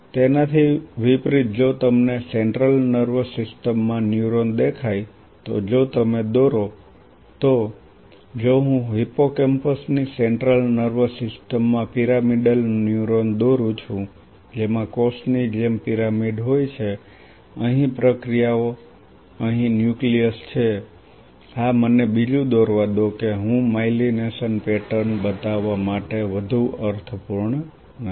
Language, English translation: Gujarati, On the contrary if you see a neuron in the central nervous system if you draw say if I draw a pyramidal neuron in the central nervous system of hippocampus which has pyramidal like cell body here the processes here the nucleus yes let me draw another one that I do not make more sense to show the myelination pattern